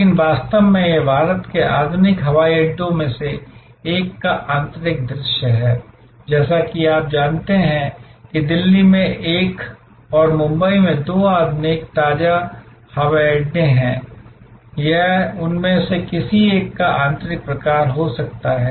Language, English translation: Hindi, But, in reality, this is the interior view of one of the modern airports of India, as you know there are two modern fresh minted airports at one in Delhi and one in Mumbai and this could be an interior sort of any one of those or any other airport for that matter across the world